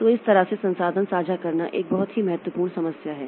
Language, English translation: Hindi, So, that way resource sharing is a very important problem